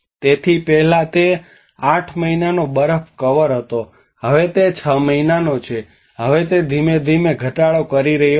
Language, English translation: Gujarati, So earlier it was 8 months snow cover, now it is six months, now it is gradually reducing